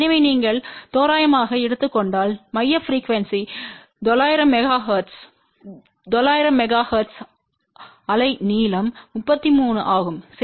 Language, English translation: Tamil, So, if you take a approximate the center frequency is 900 megahertz at 900 megahertz wave length is 33 centimeter